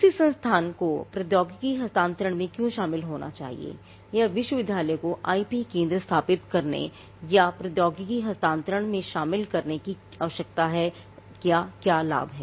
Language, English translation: Hindi, Now, why should an institute involve in technology transfer or what is the need or what is the benefit that a university gets in establishing an IP centre or in doing this involving in technology transfer